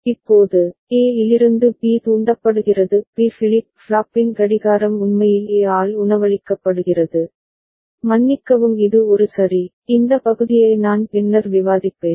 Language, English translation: Tamil, Now, B gets triggered from A; clock of B flip flop is actually fed by fed by A, sorry this one ok, this part I shall discuss it later right